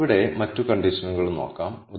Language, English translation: Malayalam, Let us look at some other condition here